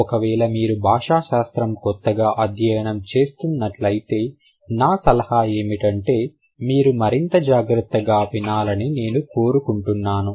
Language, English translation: Telugu, And if you are new to linguistics, my suggestion would be to listen to me a little more carefully